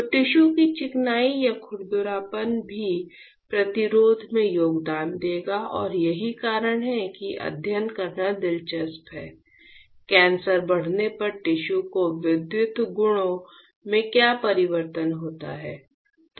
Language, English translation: Hindi, So, the smoothness or the roughness of the tissue will also contribute to the resistance and that is why it is interesting to study; what is a change in the electrical properties of tissue as the cancer progresses